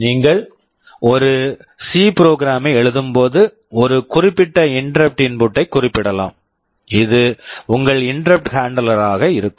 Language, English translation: Tamil, When you are writing a C program you can specify for a particular interrupt input this will be your interrupt handler